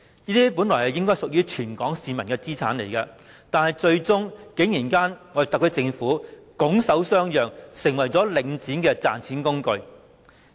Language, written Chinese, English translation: Cantonese, 這些本來應該屬於全港市民的資產，最終特區政府竟然拱手相讓，成為領展的賺錢工具。, These are supposed to be assests which belong to all the people of Hong Kong and they are eventually surrendered by the SAR Government of its own accord and made money - spinners for Link REIT